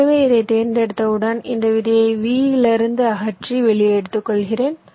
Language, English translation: Tamil, so once i select this one, i remove this seed from the original v